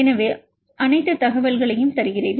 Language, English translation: Tamil, So, we give all the information